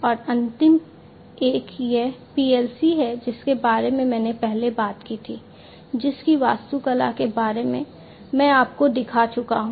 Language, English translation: Hindi, And the last one is this PLC that I talked about before, the architecture of which the rough sketch of the architecture of which I have shown you